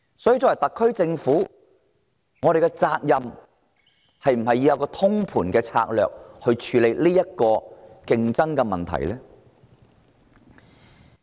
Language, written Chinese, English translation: Cantonese, 所以，作為負責任的政府，特區政府是否應制訂通盤策略處理人才競爭問題？, Hence should the SAR Government not as a responsible government formulate a holistic strategy to address the issue of talent competition?